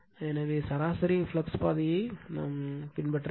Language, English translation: Tamil, So, this is my mean flux path